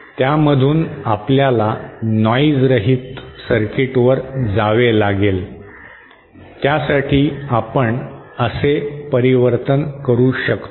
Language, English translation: Marathi, From that if we have to go to a noise less circuit, then we make a transformation like this